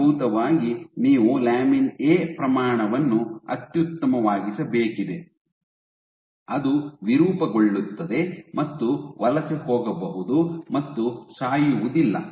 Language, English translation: Kannada, So, essentially you need to optimize the amount of lamin A, so that you are also deformable and you can also migrate and you don’t die